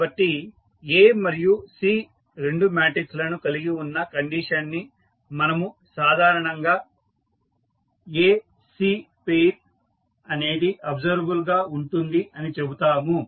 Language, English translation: Telugu, So, the condition that is containing A and C both matrices, we generally call it as the pair that is A, C is also observable